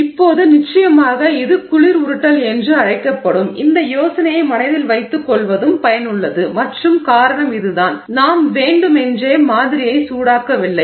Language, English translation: Tamil, Now of course it is also useful to keep in mind this idea that this is called cold rolling and the reason is this the we are not deliberately heating the sample